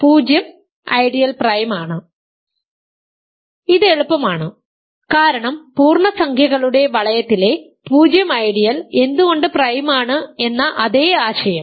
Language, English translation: Malayalam, This is easy because the same idea, why is the 0 ideal in the ring of integers is prime